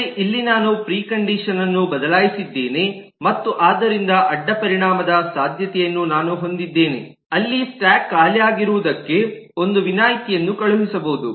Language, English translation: Kannada, but here i have changed the precondition and therefore i have a possibility of a side effect where an exception will be thrown for the stack being empty